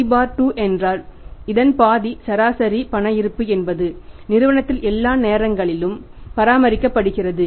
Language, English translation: Tamil, C by 2 means half of this is the average cash balance is all the times maintained in the firm